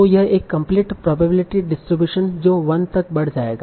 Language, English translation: Hindi, So this is a complete probability distribution that will add up to 1